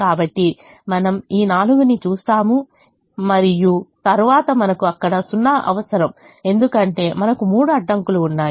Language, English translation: Telugu, so we look at this four, we look at this four and then we need a zero there because we have three constraints